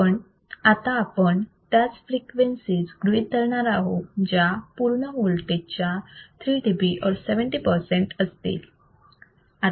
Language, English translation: Marathi, But we will consider only frequencies that are allowed are about minus 3 dB or 70 percent of the total voltage